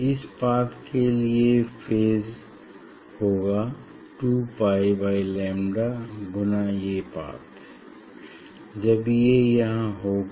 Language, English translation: Hindi, phase for this path will be 2 pi by lambda into this path it is here when it will be